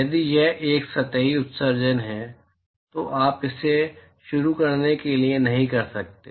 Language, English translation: Hindi, If it is a surface emission you cannot do that to start with